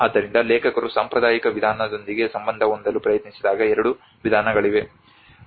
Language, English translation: Kannada, So there is two approaches when the authors they try to relate with the traditional approach